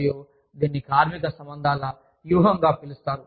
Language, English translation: Telugu, We have labor relations strategy